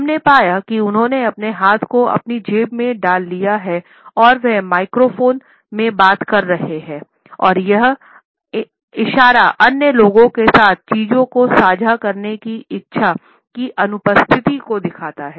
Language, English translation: Hindi, We find that he has thrust his hands into his pockets and he is talking into microphones and this gesture alone indicates the absence of the desire to share things with other people